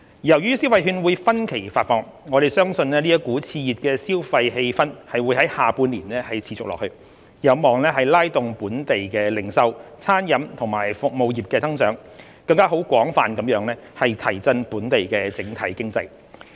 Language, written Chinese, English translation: Cantonese, 由於消費券會分期發放，我們相信這股熾熱的消費氣氛會在下半年持續下去，有望拉動本地零售、餐飲及服務業的增長，更廣泛地提振本地整體經濟。, As the consumption vouchers are disbursed in instalments we believe that the enthusiastic consumer sentiment will continue in the second half of the year leading to growth of the local retail catering and service sectors and boosting the overall local economy